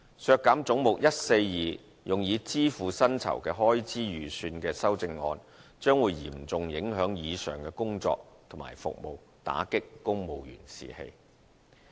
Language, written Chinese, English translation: Cantonese, 削減總目142用以支付薪酬開支預算的修正案，將會嚴重影響以上的工作和服務，打擊公務員士氣。, If the amendments which seek to reduce the estimated expenditure on the payment of personal emoluments under head 142 are passed the above mentioned work and services as well as the morale of civil servants will be severely affected